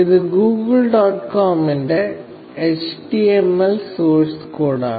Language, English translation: Malayalam, This is the HTML source code of google